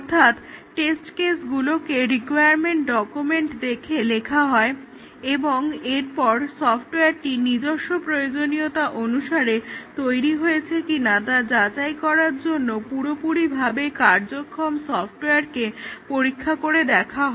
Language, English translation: Bengali, So, the test cases are written by looking at the requirements document and then they are tested on the fully working software to validate whether the software that has been developed is according to what was required for this software